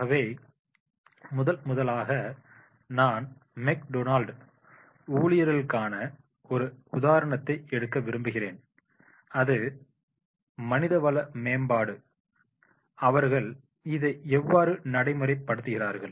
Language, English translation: Tamil, So, first I would like to take an example of the McDonald's employees that is HRM in practice what they do